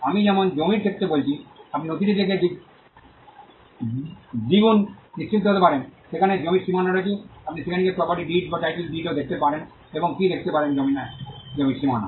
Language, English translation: Bengali, As I said in the case of a land, you can doubly be sure you can be sure by looking at the document, where the boundaries of the land are, you could also go and look into the property deed or the title deed and see what are the boundaries of the land